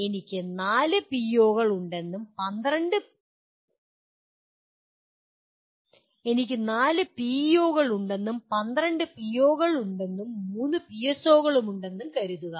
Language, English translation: Malayalam, Let us assume I have four PEOs and there are 12 POs and let us assume there are three PSOs